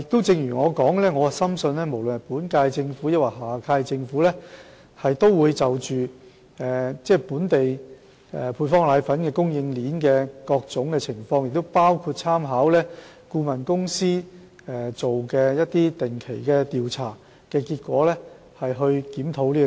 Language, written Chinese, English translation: Cantonese, 正如我所說的，我深信無論是本屆政府或下屆政府，都會注視本港配方粉供應鏈的各種情況，同時亦會參考顧問公司定期進行的調查結果而進行檢討。, As I have said I firmly believe that both the current - term Government and the next - term Government will continue to monitor the various aspects of the supply chain of powdered formula in Hong Kong and they will also review the situation taking into account the findings of the survey conducted by the consultancy firms on a regular basis